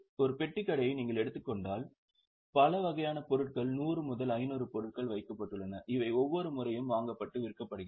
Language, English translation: Tamil, If you think of a Kirana shop, there are so many types of items, 100 or 500 items are kept and lot of items are purchased and sold every time